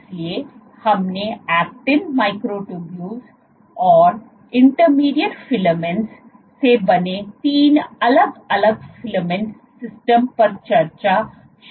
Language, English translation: Hindi, So, we had started by discussing three different filament systems made of actin, microtubules and intermediate filaments